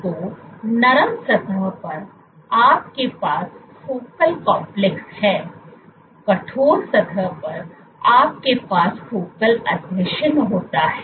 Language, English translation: Hindi, So, on soft surface, you have focal complexes; on stiff surface, you have focal adhesion